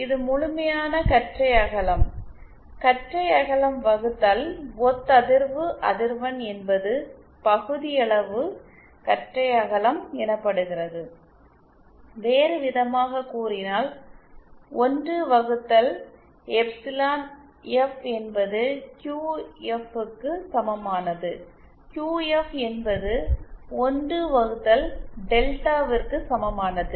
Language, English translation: Tamil, This is the absolute bandwidth, bandwidth upon resonant frequency is called the fractional bandwidth, in other words, one by epsilon S which is equal to QS is equal to 1 upon the Delta, Delta represent the fractional bandwidth